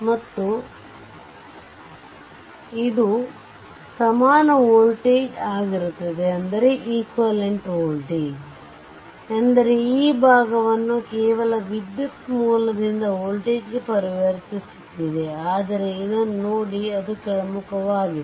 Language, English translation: Kannada, And this will be the equivalent voltage I mean you are transforming this portion only from your current source to the voltage, but look at this it is downward